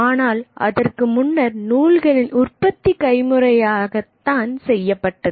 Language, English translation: Tamil, Before that the only method of reproduction of texts were manual